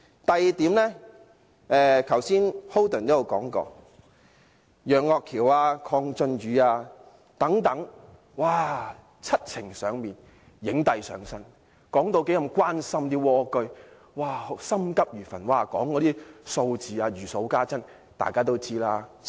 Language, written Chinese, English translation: Cantonese, 第二點，剛才周浩鼎議員也說過，楊岳橋議員、鄺俊宇議員等人七情上面，影帝上身，說十分關心蝸居戶，心急如焚，讀出數字時好像如數家珍。, Besides as Mr Holden CHOW said earlier Mr Alvin YEUNG Mr KWONG Chun - yu and others were delivering their speeches passionately with exaggerated facial expressions . They claimed that they were very concerned about people living in snail homes and they were burning with anxiety . They cited a list of figures